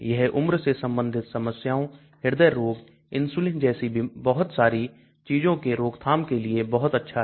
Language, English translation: Hindi, It has got very good prevention related to age related problems, heart disease, insulin so lot of things are there